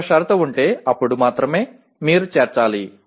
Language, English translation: Telugu, If there is a condition then only, then you need to include